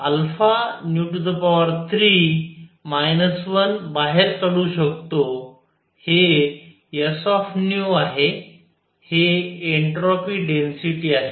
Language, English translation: Marathi, This is s nu, this is the entropy density